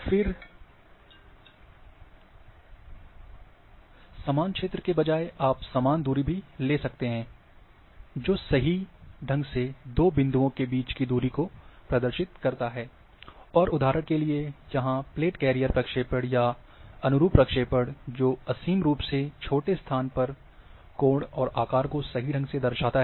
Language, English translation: Hindi, Then instead of equal area then you can have equidistant; that correctly represent distances between two points, and like example is, here is the plate career projection or conformal projection that represents angles and shapes correctly, at infinitely small locations